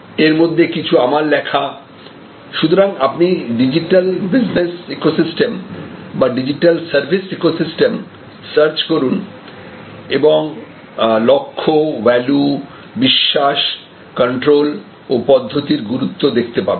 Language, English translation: Bengali, Some of them are also written by me, so you can actually search for this digital business ecosystem or digital service ecosystem and see the importance of goals, importance of values, beliefs, controls and procedures